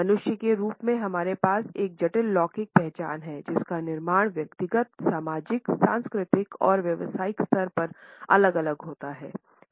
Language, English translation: Hindi, As human beings we have a complex temporal identity, which is constructed at different levels at personal as well as social, cultural and professional levels